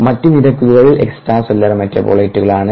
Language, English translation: Malayalam, ok, the other rates are intracellular metabolite